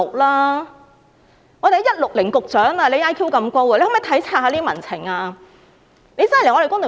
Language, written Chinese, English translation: Cantonese, "IQ 160局長"，你的 IQ 這麼高，可否體察民情呢？, Secretary IQ 160 with your really high intelligence quotient IQ could you appreciate the sentiments of society?